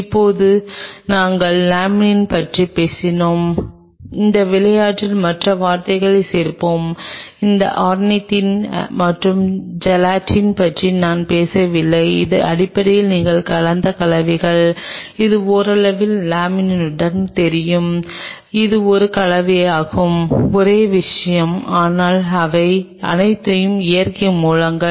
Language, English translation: Tamil, Now we have talked about Laminin let us add the other word in that game, which is Ornithine and Gelatin which I haven’t talked about which is basically a mix of you know collagen along with partly with laminin and it is kind of a mixture is the same thing, but these are all natural sources